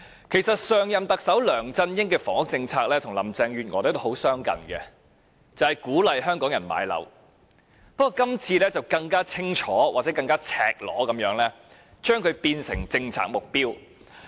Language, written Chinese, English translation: Cantonese, 其實，上任特首梁振英的房屋政策與林鄭月娥的很相近，就是鼓勵香港人買樓。不過，今次更清楚、更赤裸地將它變成政策目標。, As a matter of fact the housing policy of last - term Chief Executive LEUNG Chun - ying and that of Mrs Carrie LAM are very similar and that is encouraging Hong Kong people to purchase properties although it is even more blatant this time around as a policy objective